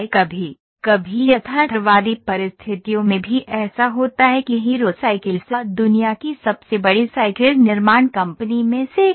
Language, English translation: Hindi, Sometimes in realistic conditions also this happens like Hero Cycles that is one of the biggest cycles manufacturing company in the world